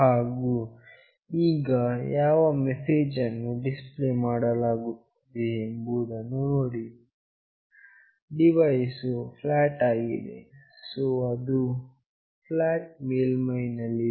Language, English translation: Kannada, And now see what message is getting displayed, the device is flat, so it is lying flat